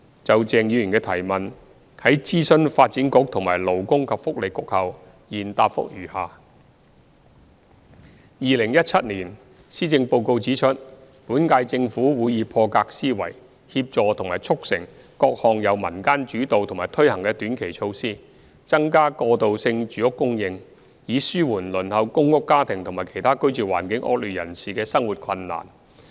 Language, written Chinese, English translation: Cantonese, 就鄭議員的質詢，在諮詢發展局和勞工及福利局後，現答覆如下：一2017年施政報告指出，本屆政府會以破格思維，協助和促成各項由民間主導和推行的短期措施，增加過渡性住屋供應，以紓緩輪候公屋家庭和其他居住環境惡劣人士的生活困難。, After consulting the Development Bureau and the Labour and Welfare Bureau I now reply to Mr CHENGs question as follows 1 The 2017 Policy Address stated that the current - term Government would think out of the box to facilitate the implementation of various short - term community initiatives to increase the supply of transitional housing with a view to alleviating the hardship faced by families on the PRH waiting list and the inadequately housed